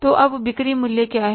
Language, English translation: Hindi, So what is the sales value now